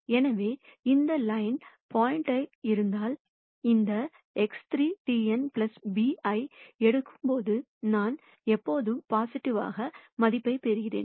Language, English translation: Tamil, So, irrespective of where the point is to this side of the line, when I take this X 3 transpose n plus b, I am always going to get a positive value